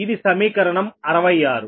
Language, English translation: Telugu, this is equation sixty six